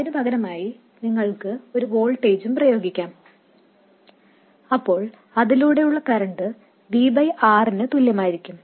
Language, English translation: Malayalam, Alternatively you could also apply a voltage and the current that flows will be equal to V by r